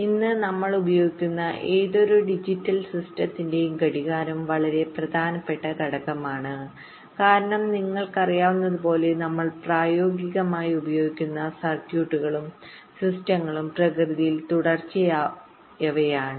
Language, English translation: Malayalam, clock is a very important component of any digital systems that we use today because, as you know, most of the circuits and systems that we talk about that we use in practise are sequential in nature